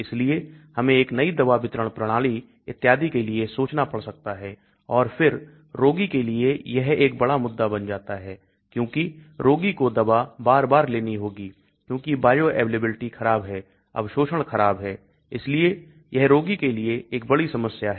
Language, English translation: Hindi, So we may have to think about a novel drug delivery system and so on and then for the patient it becomes a big issue because patient has to take the drug quite often because the bioavailability is poor, the absorption is poor so for the patient also it is a big problem